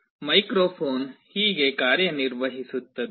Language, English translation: Kannada, This is how a microphone works